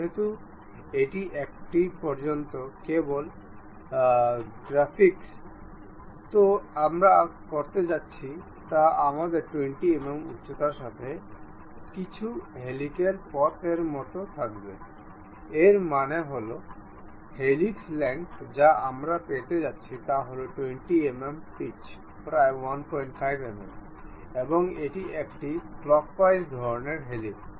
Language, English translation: Bengali, Because it is just a practice as of now what we are going to do is we will have some helical path with height 20 mm; that means, the length of the helix what we are going to have is 20 mm pitch is around 1